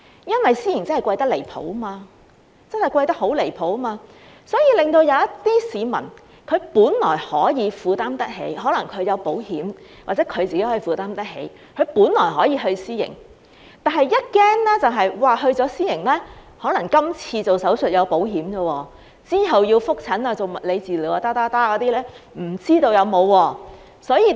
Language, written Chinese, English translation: Cantonese, 因為私營真的貴得很離譜，令一些可能有購買保險或自己負擔得起的市民，本來可以去私營，但恐怕一旦去了私營......今次動手術可能有保險保障，之後要覆診、做物理治療及其他，就不知道有沒有了。, The reason is that patients will be charged exorbitantly high in the private system making those who may have taken out insurance or can afford to go to the private system anxious about using it for they may have insurance coverage for the surgery this time but they do not know if there will be coverage for follow - up appointments physiotherapy and other items later on